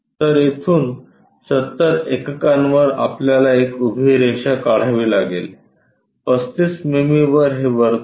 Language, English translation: Marathi, So, from here at 70 units we have to construct a vertical line at 35 mm we have this circle